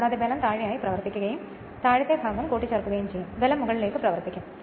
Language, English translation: Malayalam, So, and force will be acting down ward and this side your what you call lower portion will be additive force will act upwards